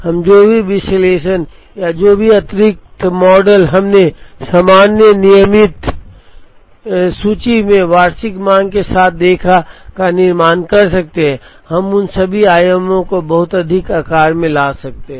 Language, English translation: Hindi, We could build whatever analysis or whatever additional models that we saw in the normal regular inventory with annual demand, we could bring all those dimensions into the lot sizing